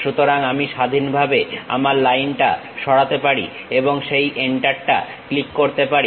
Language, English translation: Bengali, So, I can just freely move my line and click that Enter